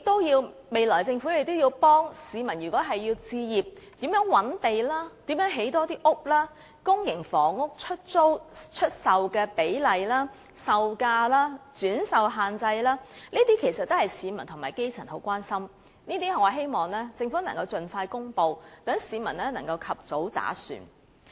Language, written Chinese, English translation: Cantonese, 若政府想幫助市民置業，如何覓地、如何多建房屋、公營房屋出售的比例、售價、轉售限制等，全部均是市民十分關注的問題，我希望政府能夠盡快公布，讓市民能夠及早打算。, If the Government wishes to help the people buy their homes I hope it will expeditiously disclose how it will identify sites and construct more housing units the ratio of public housing for sale the selling price restrictions on resale etc . which are all great concerns to the public including the grass roots so that they can make early plans